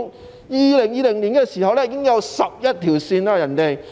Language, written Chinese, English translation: Cantonese, 在2020年，深圳已經有11條線。, In 2020 there are already 11 lines in Shenzhen